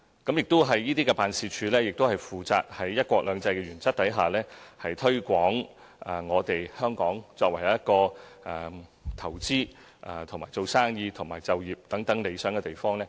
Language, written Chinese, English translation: Cantonese, 這些辦事處亦負責在"一國兩制"原則下，推廣香港作為投資、經商和就業的理想地方。, These units are also responsible for promoting Hong Kong as an ideal place for making investments doing business and pursuing careers